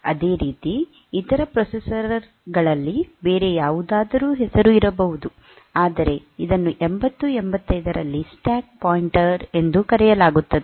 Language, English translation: Kannada, Similarly, in other processors there may be some other name, but this is called stack pointer in 8085